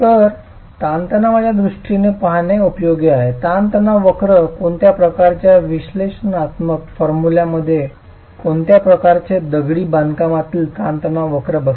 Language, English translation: Marathi, So continuing, it is useful to look at in terms of stress strain curves, what sort of a analytical formulation fits the stress strain curve of masonry itself